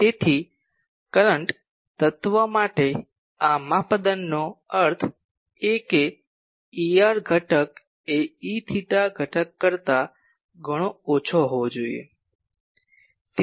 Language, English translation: Gujarati, So, for current element these criteria means the E r component should be much much less than E theta component